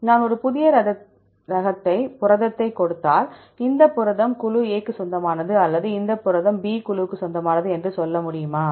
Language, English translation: Tamil, If I give a new protein, can we able to tell this protein belongs to group A or this protein belongs to group B